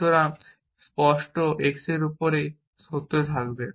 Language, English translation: Bengali, So, clear x will remain true after that essentially